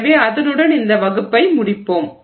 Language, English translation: Tamil, So, with that we will conclude this class